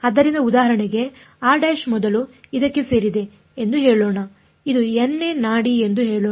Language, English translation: Kannada, So, for example, r prime first let us say belongs to this let us say this is the nth pulse